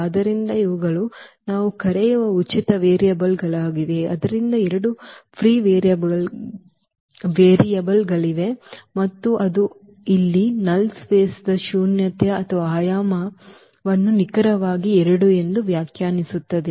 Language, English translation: Kannada, So, these are the free variables which we call, so there are two free variables and that will define exactly the nullity or the dimension of the null space that will be 2 here